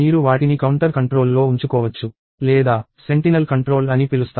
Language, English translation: Telugu, You can either have them counter controlled or what is called sentinel controlled